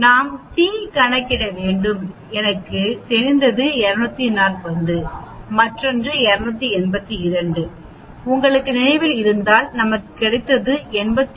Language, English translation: Tamil, What we do is we t calculate I know 240 the other one is 282, if you remember we got 89